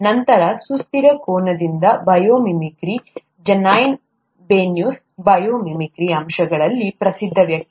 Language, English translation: Kannada, Then bio mimicry from a sustainable angle; Janine Benyus, who is a known person in bio mimicry aspects